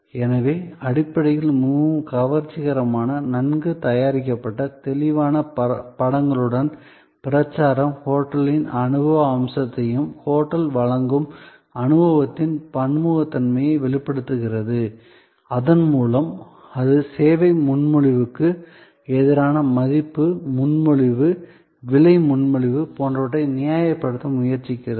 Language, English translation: Tamil, So, fundamentally this very attractive, well prepared, campaign with vivid images convey the experiential element of the hotel, the versatility of experience offered by that hotel and thereby it tries to justify the service proposition as versus it is value proposition, price proposition and so on